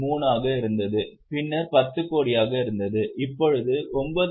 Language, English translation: Tamil, 3, then 10 crore, now 9